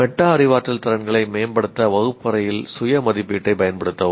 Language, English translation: Tamil, Use self assessment in the classroom to promote metacognitive skills